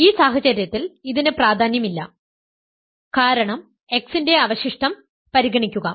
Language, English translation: Malayalam, So, in this case it is trivial because consider the residue of x